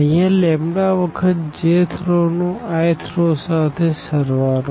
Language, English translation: Gujarati, Here addition to the lambda times the j th row to the i th row